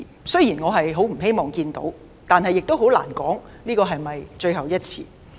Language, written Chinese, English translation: Cantonese, 雖然我不希望看到這種事，但亦很難說這是否最後一次。, While it is not something I wish to see it is difficult to tell whether it will be the last time